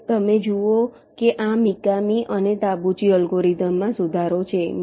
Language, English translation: Gujarati, ok, now you see, this is an improvement over the mikami tabuchi algorithm